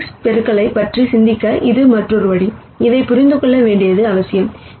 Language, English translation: Tamil, And this is another way of thinking about matrix multiplications, which is important to understand